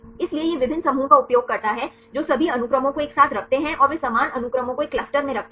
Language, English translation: Hindi, So, it uses the different clusters they keep all the sequences together and they put the similar sequences in one cluster